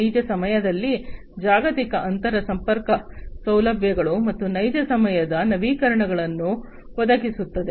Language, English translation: Kannada, Global inter connectivity facilities in real time, and providing real time updates